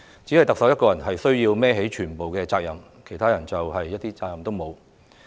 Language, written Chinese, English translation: Cantonese, 只有特首須要負起全部責任，其他人一點責任也沒有？, Is the Chief Executive supposed to take full responsibility while others have no responsibility at all?